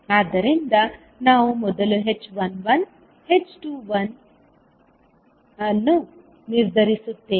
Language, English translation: Kannada, So we will first determine the h11, h21